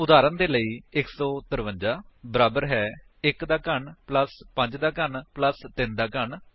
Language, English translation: Punjabi, For example, 153 is equal to 1 cube plus 5 cube plus 3 cube